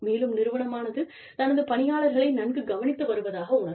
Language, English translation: Tamil, And the organization feels that, it is taking good care, of its employees